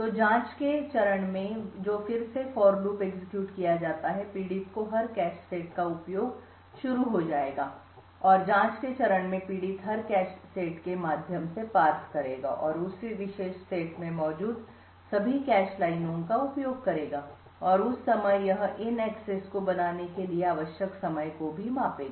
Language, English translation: Hindi, So in the probe phase which is again this for loop being executed the victim would start to access every cache set and in the probe phase the victim would parse through every cache set and access all the cache lines present in that particular set and at that time it would also measure the time required to make these accesses